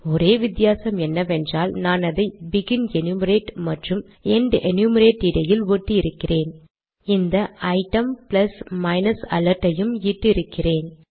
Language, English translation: Tamil, The only difference that I have done now is that between begin enumerate and end enumerate I have put this item plus minus alert